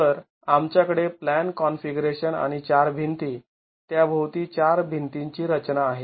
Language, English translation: Marathi, So, we have the plan configuration and the four wall, disposition of the four walls around it